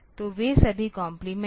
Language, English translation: Hindi, So, they are all of them are complemented